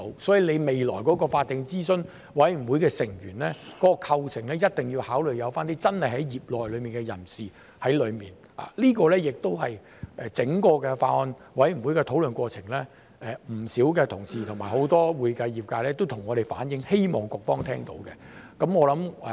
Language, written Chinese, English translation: Cantonese, 所以，未來法定諮詢委員會成員的構成，一定要考慮加入真正的業內人士，這亦是在整個法案委員會的討論過程中，不少同事及很多會計業界人士向我們反映，希望局方聽到。, For this reason as far as the composition of the future statutory advisory committee is concerned the inclusion of genuine practitioners must be considered . This is also what many colleagues and members of the accounting profession have reflected to us during the deliberation of the Bills Committee and what they hope the Bureau can hear